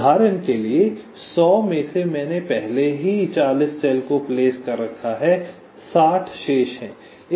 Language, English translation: Hindi, like, for example, out of the hundred i have already placed forty cells, sixty are remaining